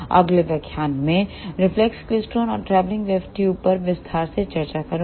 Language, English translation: Hindi, In the next lecture, I will discuss reflex klystron and travelling wave tubes in detail